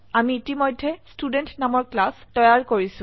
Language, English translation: Assamese, I have already created a class named Student